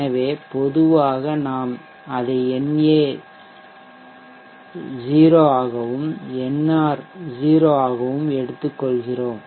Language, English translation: Tamil, So normally we take it as na as 0 nr as 0